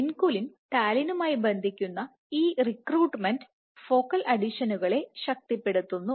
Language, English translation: Malayalam, And this recruitment of vinculin binding to talin reinforces focal adhesions